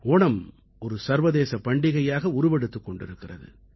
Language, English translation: Tamil, Onam is increasingly turning out to be an international festival